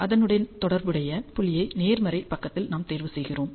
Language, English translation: Tamil, Hence, we choose the corresponding point on the positive side which will be right here right